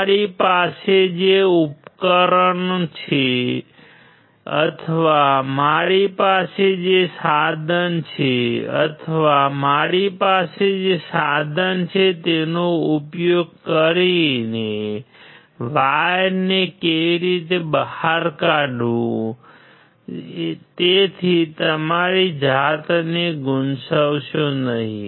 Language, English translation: Gujarati, How to take out the wire using the device that I have or the equipment that I have or the tool that I have; So, do not confuse yourself